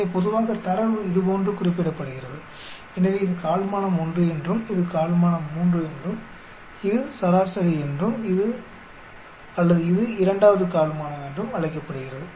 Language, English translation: Tamil, So, generally data is represented like this, so this is called the quartile 1, this is called the quartile 3 and this is the median or it is also called as 2nd quartile